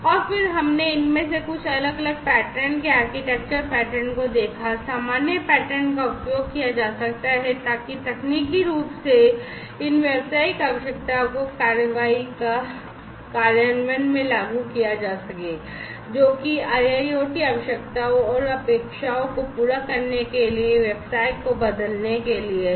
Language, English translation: Hindi, And then we have seen at some of these different patterns architectural patterns, the common patterns that could be used in order to implement technically implement these business requirements into action implement, those in order to transform the business to satisfy the IIoT requirements and expectations